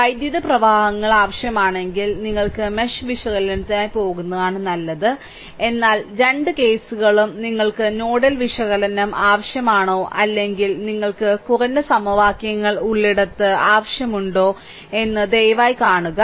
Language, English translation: Malayalam, If currents are required, better you go for mesh analysis, but both the cases you please see that whether you need for nodal analysis whether where you have a minimum number of equations right, this is the idea